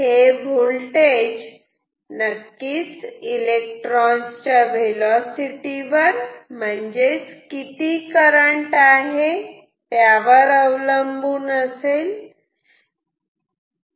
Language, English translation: Marathi, This voltage depends on of course, the velocity of these electrons which in turn depend on the amount of current